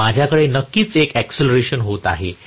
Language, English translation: Marathi, So, I have definitely an acceleration taking place